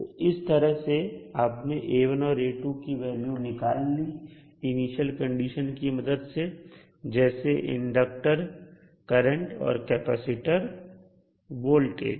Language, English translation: Hindi, So in this way you can calculate the value of unknowns that is A1 and A2 with the help of initial values that is inductor current and capacitor voltage